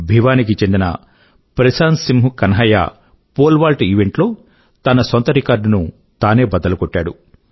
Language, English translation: Telugu, Prashant Singh Kanhaiya of Bhiwani broke his own national record in the Pole vault event